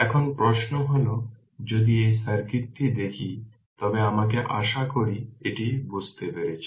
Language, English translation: Bengali, Now question is that if you look into this circuit let me I hope you have understood this right